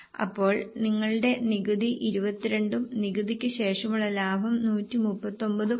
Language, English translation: Malayalam, So your tax is 22 and profit after tax is 131